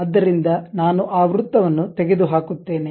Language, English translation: Kannada, So, I remove that circle